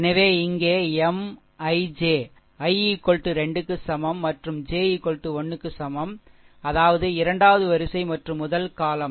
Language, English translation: Tamil, So, here M I j, i is equal to 2 and j is equal to 1 right; that means, you you second row and the first column